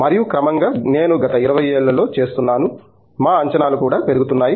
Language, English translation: Telugu, And, progressively I am seeing in the last 20 years that I have been around, our expectations are also getting elevated